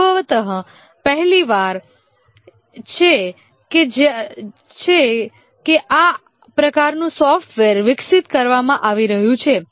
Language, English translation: Gujarati, It's possibly the first time that this kind of software is being developed